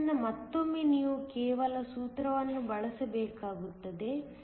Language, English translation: Kannada, So, once again, you have to just use the formula